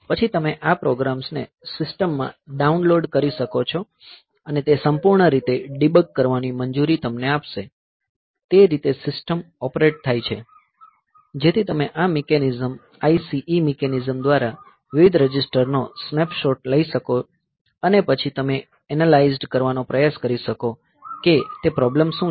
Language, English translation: Gujarati, So, then you can, this will allow programs to download and fully debug in system, that way the system is operating, so you can take a snapshot of various registers through this mechanism, ICE mechanism and you can then try to analyze that what is the problem